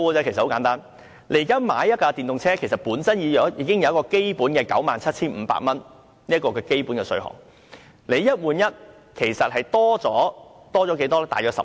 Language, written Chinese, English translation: Cantonese, 現時購買一輛電動車，車主本身已經享有 97,500 元的基本稅款優惠，"一換一"其實增加了多少呢？, At present anyone who buys an electric vehicle will already be eligible for a basic FRT exemption of up to 975,000 . How much additional exemption can the one - for - one replacement scheme really bring then? . Roughly 150,000